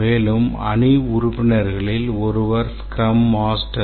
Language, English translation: Tamil, And then one of the team member is Scrum Master